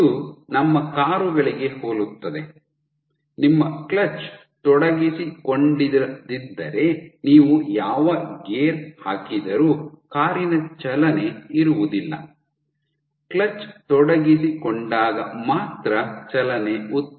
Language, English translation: Kannada, It is similar to our cars that if your clutch is not engaged then there no matter what gear you put there will be no motion of the car only when the clutch gets engaged is motion generated